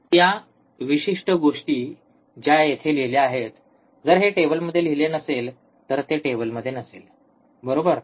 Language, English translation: Marathi, So, this is this particular things here which is written, it this is not written in the table, it is not in the table, right